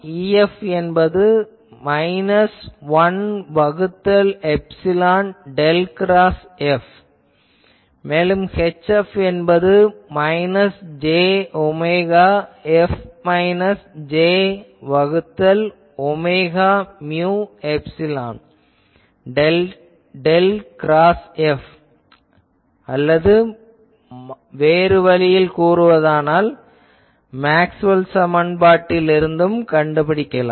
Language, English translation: Tamil, So, I can equate these two and that gives me minus 1 by epsilon del del cross F minus del square F is equal to minus j omega mu H F minus M or from here I can write, del square F plus j omega mu epsilon H F is equal to del del dot F minus M into epsilon